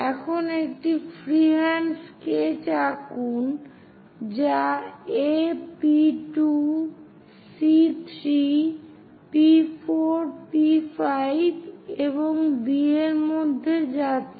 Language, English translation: Bengali, Now, draw a freehand sketch which is passing through A P 2 C 3 P 4 P 5 and B